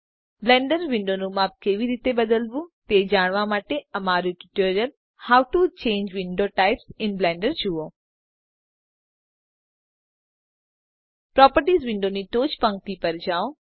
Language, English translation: Gujarati, To learn how to resize the Blender windows see our tutorial How to Change Window Types in Blender Go to the top row of the Properties window